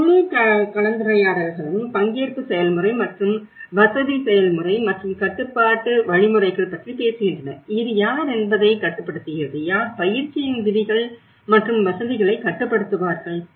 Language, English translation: Tamil, And this whole discussions talks about the participation process and the facilitation process and also the control mechanisms, who controls what and this is what who will control the rules of the exercise and the facilitators